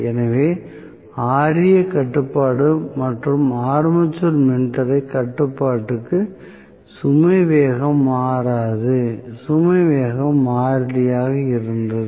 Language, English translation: Tamil, So, for Ra control for Ra control or armature resistance control no load speed will change no load speed was a constant, right